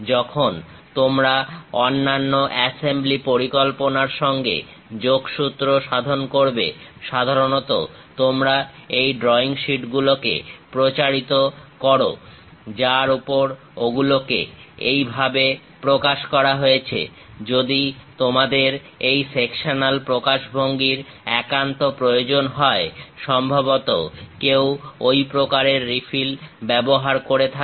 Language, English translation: Bengali, When you are communicating with other assembly plans, usually you circulate these drawing sheets on which it is clearly represented like; if you have having this sectional representation, perhaps such kind of refill one might be using it